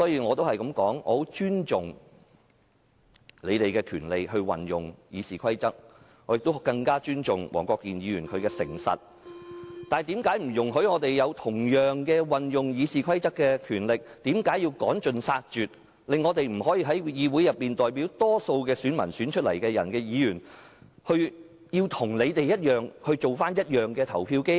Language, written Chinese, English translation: Cantonese, 我很尊重他們運用《議事規則》的權利，我更尊重黃國健議員的誠實，但主席為何不准我們同樣享有運用《議事規則》的權利，為何要趕盡殺絕，令我們這些代表大多數選民的議員，要與他們一樣成為表決機器？, What is more I have even greater respect for the frankness of Mr WONG Kwok - kin . Why does the President disallow us to enjoy the same right of using RoP and ruthlessly force Members representing the majority of voters like us to become voting machines?